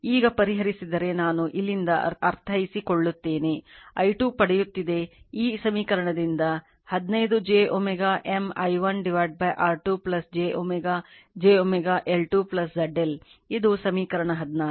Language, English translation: Kannada, Now if you solve I mean from here i 2 you are getting from this equation 15 j omega M i 1 upon R 2 plus j omega j omega L 2 plus Z L, this is equation 16